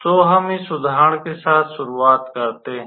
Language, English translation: Hindi, So, we started with basically this example here